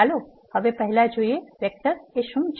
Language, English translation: Gujarati, Let us now first see, what is a vector